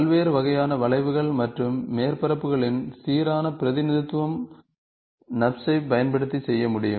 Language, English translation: Tamil, Uniform representation of large variety of curves and surfaces can be done by using NURBS